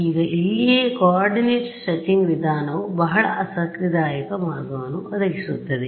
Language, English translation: Kannada, Now here itself is where the coordinate stretching approach presents a very interesting way